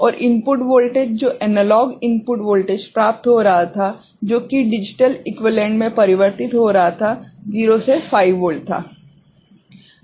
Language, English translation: Hindi, And the input voltage that was getting analog input voltage that was getting converted to digital equivalent was 0 to 5 volt right